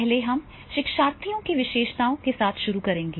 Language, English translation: Hindi, First we will start with the learners characteristics